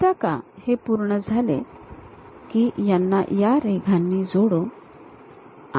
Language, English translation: Marathi, Once done, join these by lines